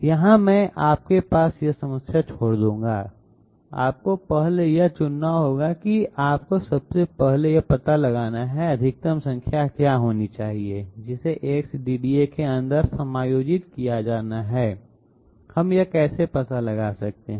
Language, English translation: Hindi, Here I will leave the problem to you, you have to choose first you have to find out 1st of all what should be the maximum number which has to be accommodated inside the X DDA, how can we find that out